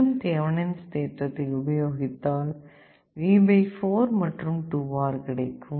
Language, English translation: Tamil, We apply Thevenin’s theorem here again, you get this V / 4 and 2R